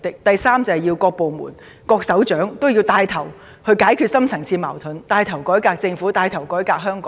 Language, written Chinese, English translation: Cantonese, 第三，各部門及各部門首長均要牽頭解決社會的深層次矛盾，改革政府和香港。, Third various departments and heads of departments have to take the lead to resolve the deep - rooted conflicts in society and reform the Government and Hong Kong